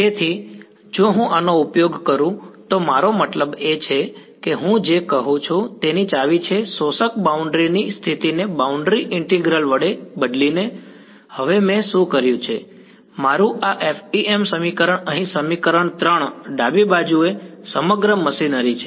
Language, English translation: Gujarati, So, if I use this is I mean this is the key of what I am saying replacing the absorbing boundary condition by a boundary integral now what I have done is, my this FEM equation over here equation 3 the left hand side is the entire machinery of FEM left hand side is what is going to guarantee a sparse matrix for me